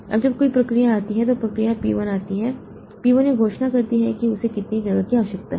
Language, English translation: Hindi, Now, when a process comes, say process P1 comes, P1 declares how much space is it needs